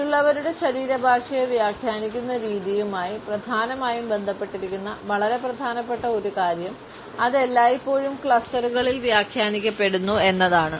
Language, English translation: Malayalam, A very important aspect which is essentially related with the way we interpret body language of others is that it is always interpreted in clusters